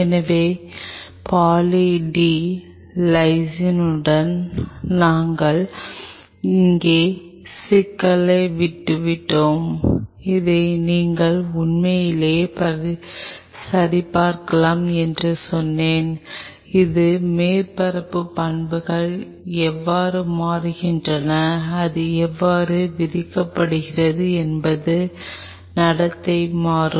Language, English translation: Tamil, So, we left the problem here With Poly D Lysine and I told you that you can really check it out that, how it is surface properties are changing, how it is charged behavior will change